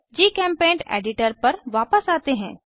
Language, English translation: Hindi, Come back to GChemPaint editor